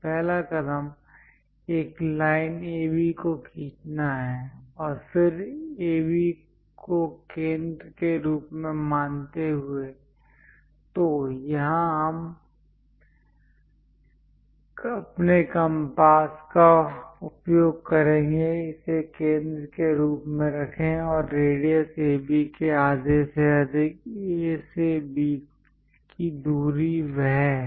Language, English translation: Hindi, The first step is draw a line AB and then with A as centre; so here we are going to use our compass; keep it as a centre and radius greater than half of AB; the distance from A to B is that